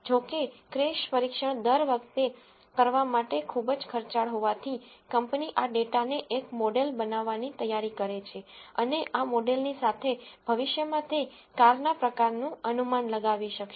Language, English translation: Gujarati, However, since the crash test is very expensive to perform every time, so the company is going to take this data build a model and with this model it should be able to predict the type of the car in future